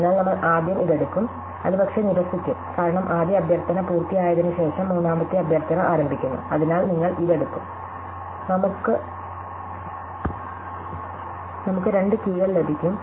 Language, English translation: Malayalam, So, we would first take this, that would rule out this and then because the third request starts after the first one completes, so you will take this and so we will get two bookings